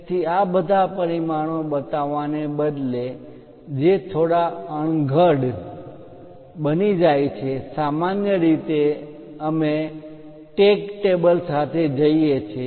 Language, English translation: Gujarati, So, instead of showing all these dimensions which becomes bit clumsy, usually we go with a tag table